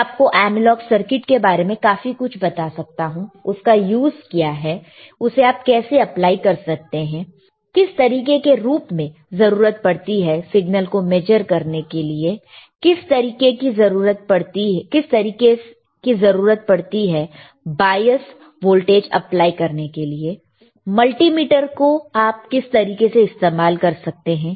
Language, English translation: Hindi, I can tell you a lot of things about analog circuits, what is the use, how you can apply it, what kind of equipment you require for measuring the signal, what kind of equipment you require to apply the bias voltage, how can you can use multimeter, right